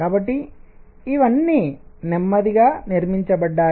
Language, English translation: Telugu, So, all this built up slowly